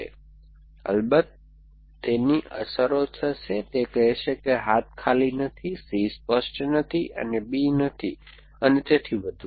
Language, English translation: Gujarati, So, of course it will have its effects, it will say arm empty not clear C and not holding B and so on essentially